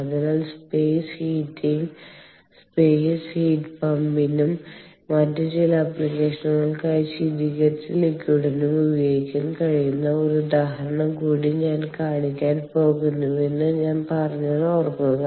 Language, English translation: Malayalam, so remember i said that i am going to show one more example where we can use both for space heat, heat pump, for both space heating as well as the chilled ah fluid for some other application